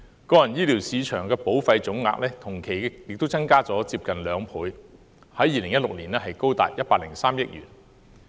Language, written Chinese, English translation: Cantonese, 個人醫療市場保費總額同期亦增加近兩倍，在2016年高達103億元。, Also individual - based health market premium has almost tripled to 10.3 billion over the same period in 2016